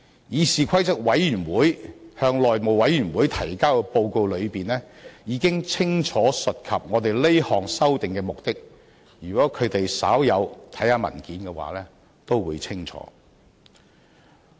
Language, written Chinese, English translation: Cantonese, 議事規則委員會向內務委員會提交的報告中，已經清楚述及我們這項修訂的目的，如果他們稍有看過文件也會清楚。, In the report of the Committee on Rules of Procedure submitted to the House Committee the purpose of this proposed amendment is clearly stated . If these Members have read the report they would be clear about the purpose